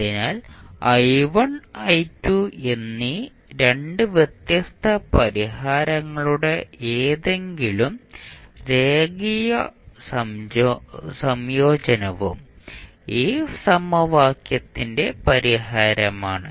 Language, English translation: Malayalam, So, any linear combination of the 2 distinct solutions that is i1 and i2 is also a solution of this equation